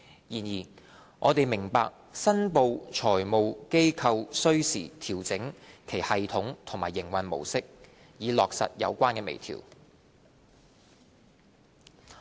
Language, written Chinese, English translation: Cantonese, 然而，我們明白申報財務機構需時調整其系統及營運模式，以落實有關微調。, However it is understood that reporting FIs will have to take time to fine - tune their systems and mode of operation for the implementation of the refinements